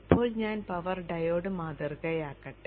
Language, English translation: Malayalam, Now let me model the power diode